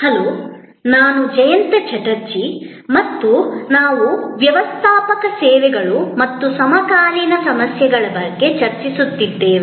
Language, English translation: Kannada, Hello, I am Jayanta Chatterjee and we are discussing about Managing Services and the Contemporary Issues